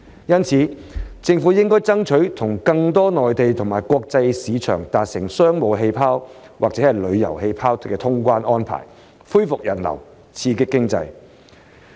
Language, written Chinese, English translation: Cantonese, 因此，政府應爭取與更多內地和國際市場達成"商務氣泡"或"旅遊氣泡"的通關安排，以便恢復人流，刺激經濟。, Therefore the Government should seek to work out cross - border travel arrangements with more markets on the Mainland as well as overseas through business bubbles or travel bubbles so as to bring in visitors and stimulate the economy